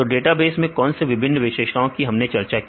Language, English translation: Hindi, So, what are the various characteristics of databases we discussed